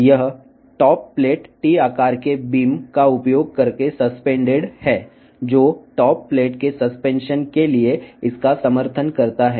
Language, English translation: Telugu, This top plate is suspended using the T shaped beams, which supports it for the suspension of the top plate